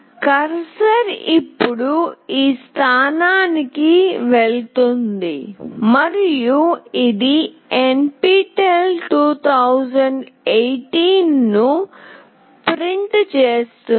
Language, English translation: Telugu, The cursor will now move to this position and it will print NPTEL 2018